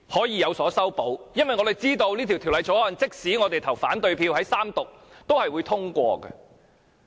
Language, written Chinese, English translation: Cantonese, 因為我們知道《條例草案》即使我們在三讀投下反對票，也是會通過的。, We know that the Bill will be passed even if we cast the opposing votes during the Third Reading